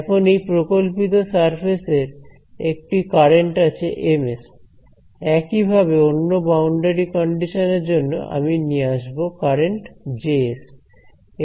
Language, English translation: Bengali, So, now, this hypothetical surface has a current M s similarly to save the other boundary condition I will have to introduce the current Js